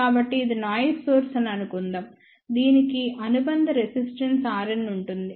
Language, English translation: Telugu, So, let us say this is the noise source which has an associated resistance R n